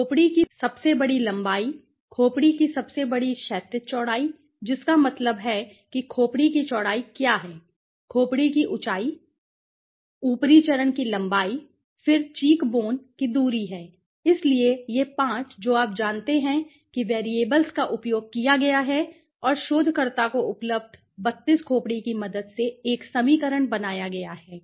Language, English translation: Hindi, The greatest length of the skull right, the greatest horizontal breadth of the skull that means what is the width of the skull, the height of the skull okay, the upper phase length, then the cheekbone distance okay so this 5 you know variables have been used and a equation has been build okay with the help of the 32 skulls that were available to the researcher right, now he hopes the in that in the future